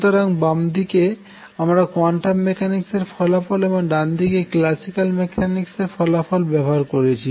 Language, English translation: Bengali, So, on the left hand side, I am using a quantum mechanical result, on the right hand side, I am using the classical result